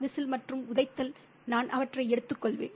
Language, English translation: Tamil, Whistling and the kicking, I'll just pick up on those